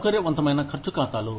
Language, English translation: Telugu, Flexible spending accounts